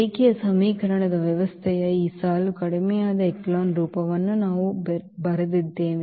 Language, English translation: Kannada, So, we get this equation the system of linear equation and then by reducing to this echelon form